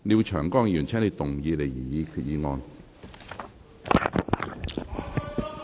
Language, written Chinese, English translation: Cantonese, 廖長江議員，請動議你的擬議決議案。, Mr Martin LIAO you may move your proposed resolution